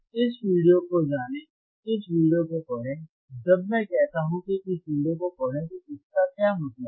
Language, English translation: Hindi, lLearn this video, read this video, when I say read this video what does that mean,